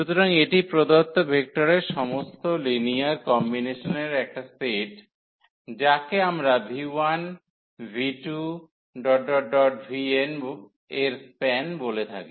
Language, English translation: Bengali, So, this is a set of all linear combinations of the given vectors we call the span of v 1, v 2, v 3, v n